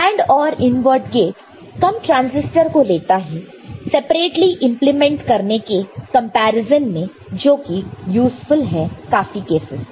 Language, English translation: Hindi, And AND OR invert gate takes less number of transistors in comparison to implementing them separately which is useful in many cases ok